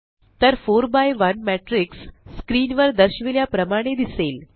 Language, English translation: Marathi, So a 4 by1 matrix will look like as shown on the screen